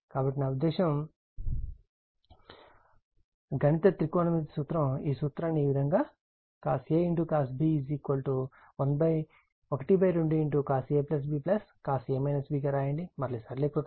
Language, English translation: Telugu, So, I mean mathematics trigonometric formula, you use this formula like this cos A cos B is equal to half cos A plus B plus cos A minus B and simplify